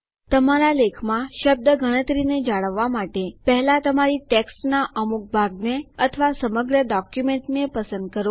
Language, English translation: Gujarati, For maintaining a word count in your article, first select a portion of your text or the entire document